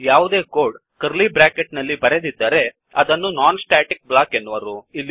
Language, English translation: Kannada, Any code written between two curly brackets is a non static block